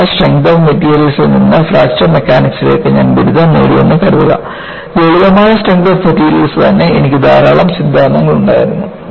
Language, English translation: Malayalam, Suppose, I graduate from simple strength of materials to Fracture Mechanics, in simple strength of material itself, I had many theories